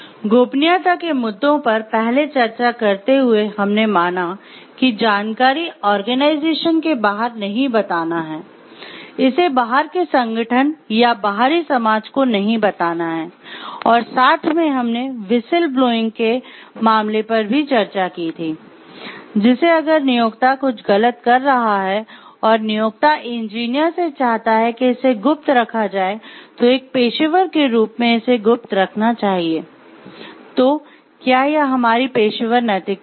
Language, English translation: Hindi, Now, in the earlier discussion while discussing about the confidentiality issues, we have discussed about confidentiality and going to keep like, not to tell it to the outside organization or outside society, and we have discussed the case of whistle blowing over there; like we should, if the employer is doing something wrong and the employer wants that to be kept secret as an engineer, as a professional should be keep secret or it is our professional ethics